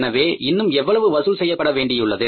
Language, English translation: Tamil, So, how much is left to be collected